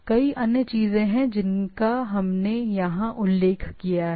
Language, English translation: Hindi, There are several other things we mentioned here